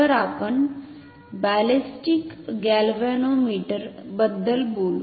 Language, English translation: Marathi, So, we will talk about ballistic galvanometer what is a galvanometer